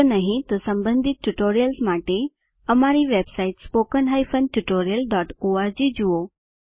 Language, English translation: Gujarati, If not, for relevant tutorials, please visit our website, http://spoken tutorial.org